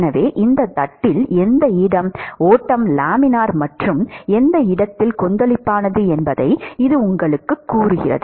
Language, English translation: Tamil, So, that tells you which location along this plate, the flow is Laminar and which location it is Turbulent